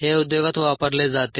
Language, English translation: Marathi, this is used in the industry